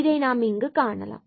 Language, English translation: Tamil, So, now, we can solve this